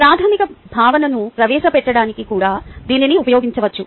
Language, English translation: Telugu, this can also be used for inter introducing a fundamental concept